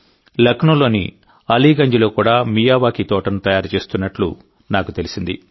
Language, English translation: Telugu, I have come to know that a Miyawaki garden is also being created in Aliganj, Lucknow